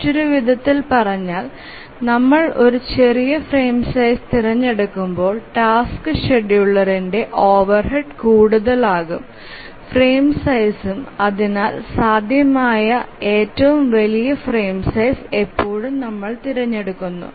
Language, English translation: Malayalam, Or in other words, the overhead of the task scheduler becomes more when we choose a smaller frame size and therefore we always choose the largest frame size that is possible